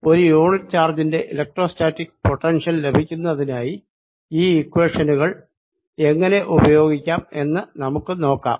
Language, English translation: Malayalam, let us see how do we use these equations to get electrostatic potential for a unit charge